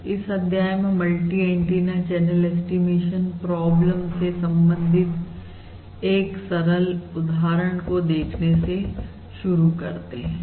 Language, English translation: Hindi, So what we are going to do in this module is start looking at a simple example of a multi antenna channel estimation problem